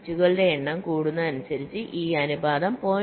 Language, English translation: Malayalam, so as the number of bits increases, this ratio approaches point five